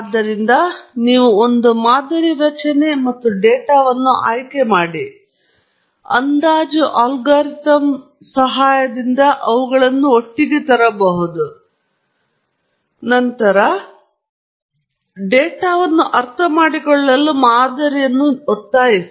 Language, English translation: Kannada, So, you have chosen a model structure and data, bring them together with the help of an estimation algorithm, and then, force the model to understand the data